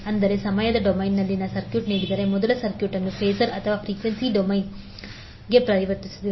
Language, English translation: Kannada, That means if the circuit is given in time domain will first convert the circuit into phasor or frequency domain